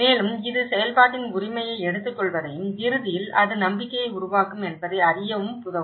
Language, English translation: Tamil, And also it can enable you to know take the ownership of the process and that eventually, it will build the trust